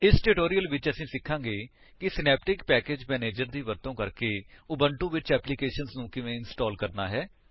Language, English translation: Punjabi, In this tutorial, we are going to learn how to install applications in Ubuntu using Synaptic Package Manager